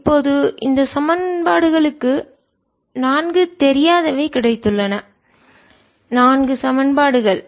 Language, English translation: Tamil, now this, the, this equation of four, unknowns four equation